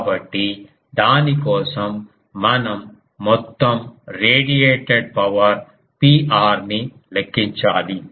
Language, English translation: Telugu, So, for that we need to calculate the total radiated power P r